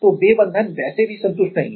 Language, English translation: Hindi, So, those bonds are anyway not satisfied